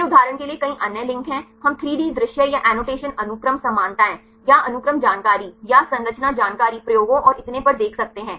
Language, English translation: Hindi, Then there are several other links for example, we can see the 3D view or the annotations sequence similarities or sequence information or the structure information experiments and so on